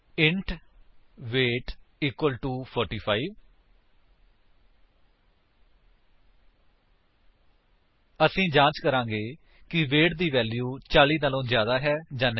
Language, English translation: Punjabi, int weight equal to 45 We shall check if the value in weight is greater than 40